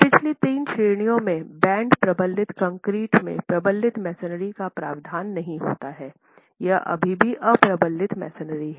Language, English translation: Hindi, In the three previous categories, the provision of a band in reinforced concrete does not make the masonry reinforce, it's still unreinforced masonry